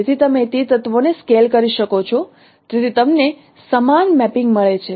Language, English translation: Gujarati, So since you can scale those elements still you get the same mapping